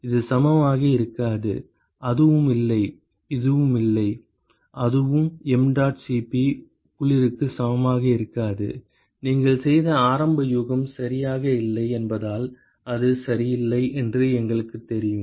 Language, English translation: Tamil, This is not going to be equal to and that is not and that is and that is not going to be equal to mdot Cp cold, simply because the initial guess that you made is not right, we know that it is not right